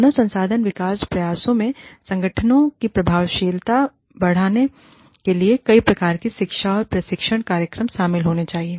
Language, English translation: Hindi, HRD efforts, human resource development efforts, should consist of, a variety of education and training programs, implemented to increase the effectiveness of the organizations